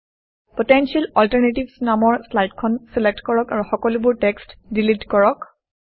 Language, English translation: Assamese, Select the slide Potential Alternatives and delete all text